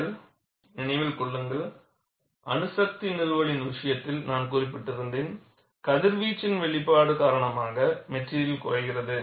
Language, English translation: Tamil, And you should also keep in mind, I had mentioned, in the case of nuclear installation, the material degrades because of exposure to radiation